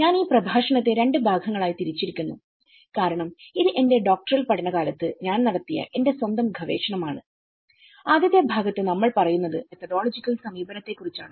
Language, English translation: Malayalam, I have divided this lecture in two parts because it is my own research, which I have conducted during my Doctoral studies and the first part which talks about the methodological approach